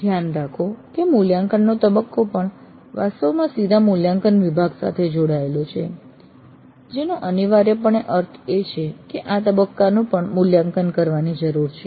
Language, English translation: Gujarati, Note that even the evaluate phase itself actually is connected to the vertical evaluate block which essentially means that even this phase needs to be evaluated